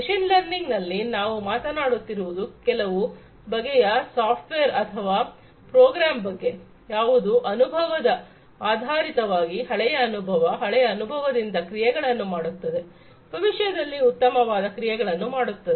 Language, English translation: Kannada, In machine learning, we are talking about some kind of a software or a program, which based on the experience, previous experience, past experience will take actions, better actions in the future